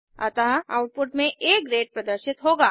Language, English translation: Hindi, So the output will be displayed as A Grade